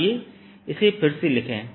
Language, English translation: Hindi, lets write this again